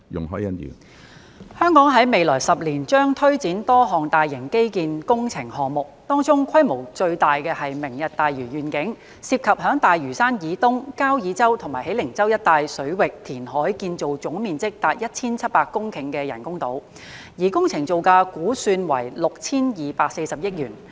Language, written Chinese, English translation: Cantonese, 香港在未來10年將推展多項大型基建工程項目，當中規模最大是"明日大嶼願景"，涉及在大嶼山以東、交椅洲和喜靈洲一帶水域填海建造總面積達1700公頃的人工島，而工程造價估算為 6,240 億元。, In the coming decade a number of major infrastructure projects will be implemented in Hong Kong . Among such projects the Lantau Tomorrow Vision is the largest in scale involving reclamation in the waters near Kau Yi Chau and Hei Ling Chau to the east of Lantau for the construction of artificial islands with a total area of up to 1 700 hectares at an estimated construction cost of 624 billion